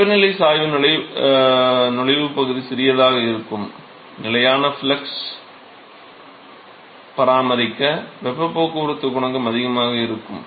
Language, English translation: Tamil, So, the temperature gradient is going to be smaller the entry region and therefore, in order to maintain constant flux, the heat transport coefficient has to be higher